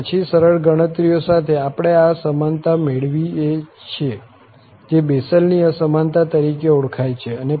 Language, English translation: Gujarati, And then, with simple calculations, we obtain this inequality which is known as the Bessel's Inequality